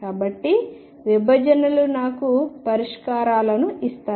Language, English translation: Telugu, So, intersections give me the solutions